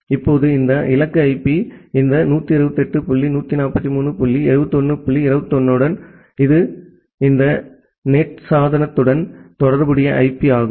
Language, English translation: Tamil, Now, with this destination IP this 128 dot 143 dot 71 dot 21, this is an IP which is associated with this NAT device